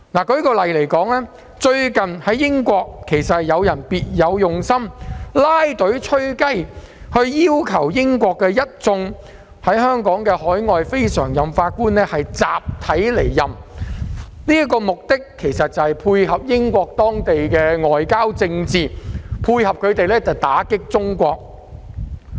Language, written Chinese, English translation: Cantonese, 舉例而言，最近英國有一些別有用心的人"拉隊吹雞"，要求當地一眾香港海外非常任法官集體離任，其目的正是要配合英國的外交政策打擊中國。, To cite an example some people with ulterior motives in the United Kingdom have recently marshalled their forces to request all overseas non - permanent judges of Hong Kong to resign en masse . Their real purpose was precisely to support the British foreign policy against China